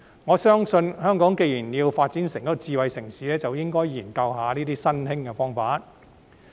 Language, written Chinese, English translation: Cantonese, 我相信，香港既然要發展成智慧城市，便應該就這些新興方法進行研究。, I believe as Hong Kong is to develop itself into a smart city it should conduct studies on such newly emerged methods